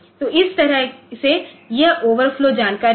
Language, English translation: Hindi, So, that way it is that overflow information